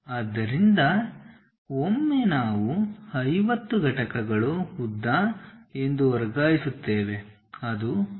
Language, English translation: Kannada, So, once we transfer that 50 units is the length, so that is from the base